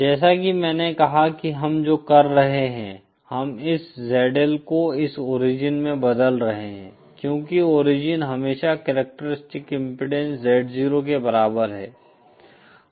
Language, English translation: Hindi, As I said what we are doing is we are transforming this ZL to this origin because origin is always equal to corresponds the characteristic impedance Z0